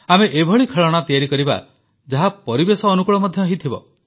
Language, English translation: Odia, Let us make toys which are favourable to the environment too